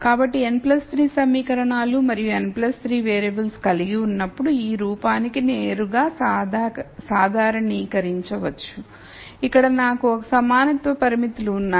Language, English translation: Telugu, So, I will have n plus 3 equations and plus 3 variables which can be directly generalized to this form where I have l equality constraints